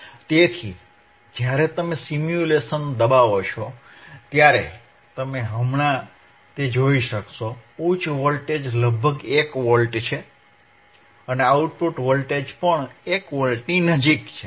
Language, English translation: Gujarati, So, when you impress simulation you will be able to see that right now, high voltage is about 1 volt, and may output voltage is also close to 1 volt